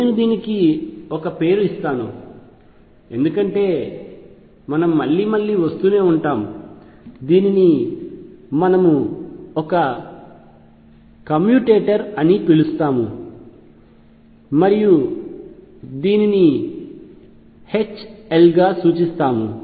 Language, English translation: Telugu, Let me give this a name because we will keep coming again and again we call this a commutator and denote it as this H L